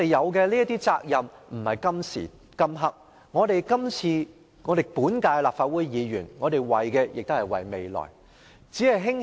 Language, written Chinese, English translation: Cantonese, 我們承擔的責任不止於今時今刻，本屆立法會議員為的是未來。, Our responsibility does not end at this moment . Members of the current Council should work for the future